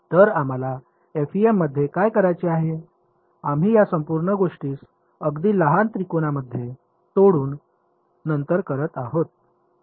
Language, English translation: Marathi, So, what is what do we have to do in the FEM, we will be breaking this whole thing into little triangles right all over and then doing